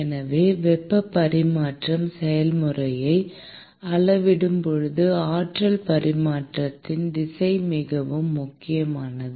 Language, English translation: Tamil, So, direction of energy transfer is very important while quantifying the heat transfer process